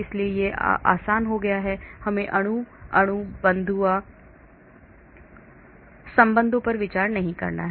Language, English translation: Hindi, so it has become easy, we do not have to consider molecule molecule non bonded interaction